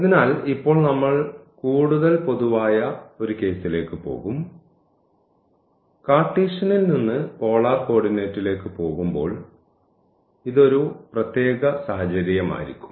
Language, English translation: Malayalam, So, now, we will go for a more general case and this will be a particular situation when we go from Cartesian to polar coordinate